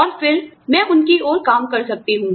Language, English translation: Hindi, And then, I can work towards them